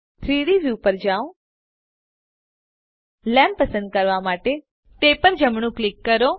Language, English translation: Gujarati, Go to the 3D view Right click to select the Lamp